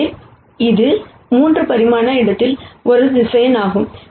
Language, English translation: Tamil, So, this is a vector in a 3 dimensional space